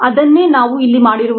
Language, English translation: Kannada, that is what happens here